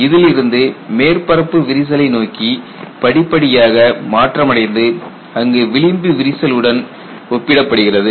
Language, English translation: Tamil, From this, we have graduated to a surface crack, where in you compare it with an edge crack